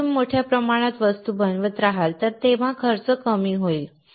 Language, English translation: Marathi, When you keep on making the things in bulk the cost will go down